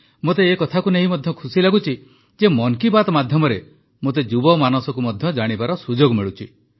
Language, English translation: Odia, I am happy also about the opportunity that I get through 'Mann Ki Baat' to know of the minds of the youth